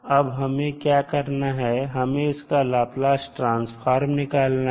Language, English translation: Hindi, Now, how we will define the Laplace transform